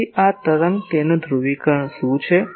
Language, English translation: Gujarati, So, this wave what is its polarisation